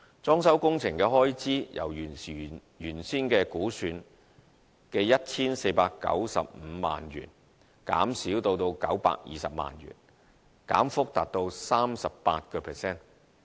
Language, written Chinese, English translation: Cantonese, 裝修工程的開支由原來估算的 1,495 萬元減少至920萬元，減幅達 38%。, The fitting - out expenditure has been reduced by 38 % from the original estimation of 14.95 million to 9.2 million